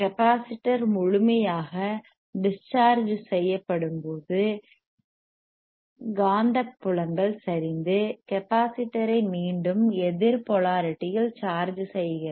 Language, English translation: Tamil, When the capacitor is fully discharged, the magnetic fields are collapse,ing charging the capacitor is again in the opposite polarityy or opposite direction